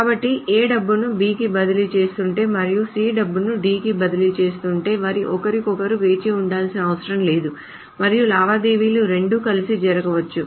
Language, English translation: Telugu, So if A is transferring money to B and C is transferring money to D, they do not need to wait for each other and both the transactions can happen together